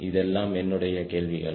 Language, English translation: Tamil, these are my questions